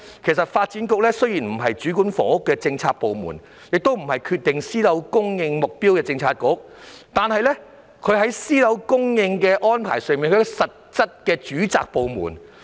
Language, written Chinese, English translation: Cantonese, 雖然發展局不是主管房屋，亦不是決定私樓供應目標的政策局，但發展局是私樓供應的實際主責部門。, Although the Development Bureau is not the Policy Bureau overseeing housing matters or determining the target of private housing supply it is an actual government agency in charge of private housing supply